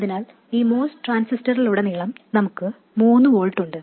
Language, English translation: Malayalam, So across the MOS transistor we have 3 volts